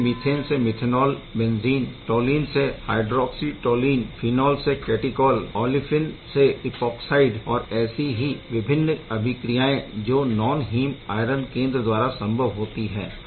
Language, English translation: Hindi, From methane to methanol benzene or toluene to hydroxy toluene and phenol to catechol olefin to epoxide, there are many different reactions is non heme iron centers are doing